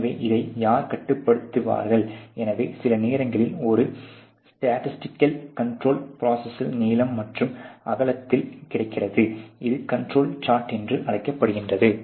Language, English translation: Tamil, So, who will control this and therefore there is some times a statistical control which is available along the length and width of the process which is call the control charge